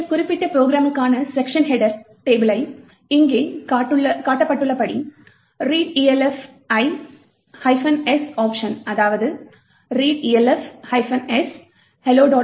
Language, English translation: Tamil, The section header table for this particular program can be obtained by running readelf with the minus S option as shown over here that is readelf minus S hello dot O